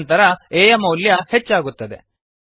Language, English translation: Kannada, After that the value of a is incremented